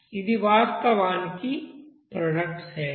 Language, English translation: Telugu, This is actually for product side